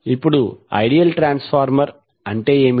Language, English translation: Telugu, Now what is ideal transformer